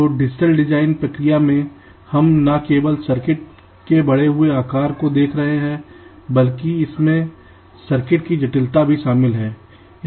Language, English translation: Hindi, ok, so in the digital design process we are not only looking at the increased sizes of this circuits but also the associated complexity involved